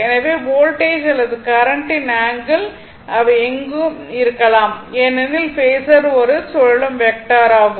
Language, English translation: Tamil, So, voltage or current right, the angle of the voltage and current it can be in anywhere, because phasor is rotating vector